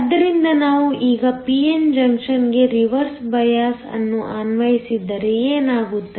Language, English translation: Kannada, So, what happens if we now apply a reverse bias to the p n junction